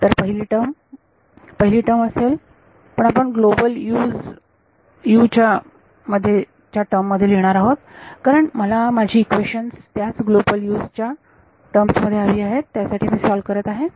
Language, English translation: Marathi, So, the first term will; the first term, but we will write it in terms of global U’s because I want equations in the global U’s that is what I am solving for